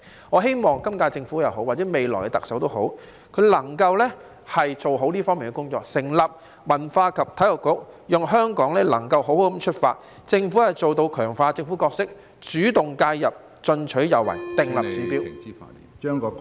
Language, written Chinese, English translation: Cantonese, 我希望今屆政府或未來的特首能夠做好這方面的工作，成立文化及體育局，讓香港能夠好好出發，政府做到強化政府角色，主動介入，進取有為，訂立指標......, I hope the current - term Government or the future Chief Executive can do a better job in this regard and establish a Culture and Sports Bureau so that Hong Kong can have a good start and the Government can strengthen its governance role and take active intervention and proactive actions to lay down a target